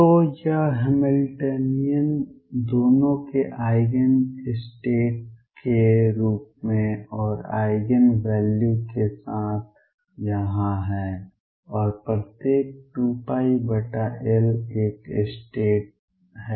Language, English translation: Hindi, So, it as the Eigen state of both the Hamiltonian and the momentum with the Eigen values being here and every 2 pi by L there is a state